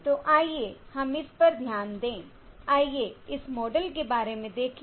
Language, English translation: Hindi, So let us observe this, let us note this about this model